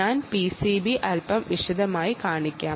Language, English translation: Malayalam, i will show you the p c, b in a little bit detail